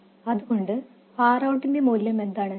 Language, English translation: Malayalam, So, what is the value of R out